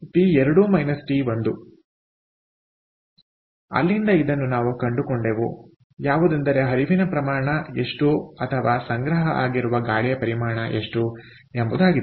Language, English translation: Kannada, so from there we found out what is the mass flow or the, what is the mass of air that was stored